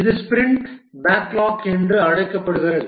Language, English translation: Tamil, This is called as a sprint backlog